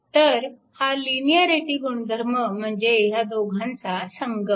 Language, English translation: Marathi, So, this linearity property is a combination of both